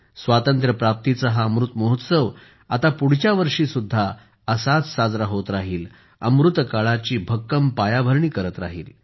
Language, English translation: Marathi, This Azadi Ka Amrit Mahotsav will continue in the same way next year as well it will further strengthen the foundation of Amrit Kaal